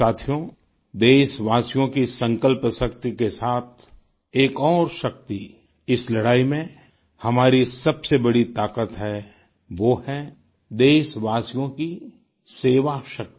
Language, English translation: Hindi, in this fight, besides the resolve of our countrymen, the other biggest strength is their spirit of service